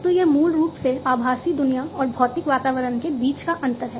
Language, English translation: Hindi, So, it is basically the bridging between the virtual world and the physical environment